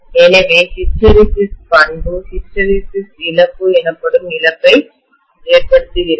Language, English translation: Tamil, So this hysteresis property gives rise to a loss called hysteresis loss